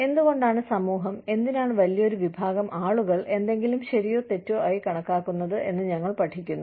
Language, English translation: Malayalam, We study, why the society, why large number of people consider, something to be as right or wrong